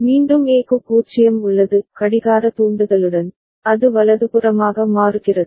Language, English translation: Tamil, Again A has 0 with the clock trigger, it is changing right